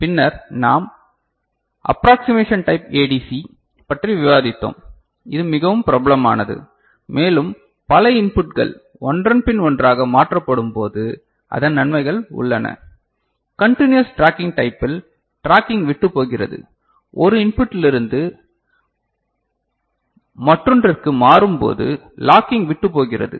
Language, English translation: Tamil, Then we moved on and we discussed accessing the approximation type ADC which is very popular and it has its advantages specially when multiple inputs are to be converted one after another; in the continuous tracking type the tracking gets lost, the locking get lost once you move from one input to another